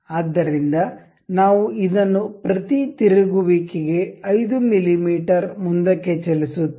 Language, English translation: Kannada, So, we will revolve it like this per revolution it moves 5 mm forward